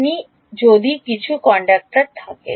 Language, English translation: Bengali, If you have some conductor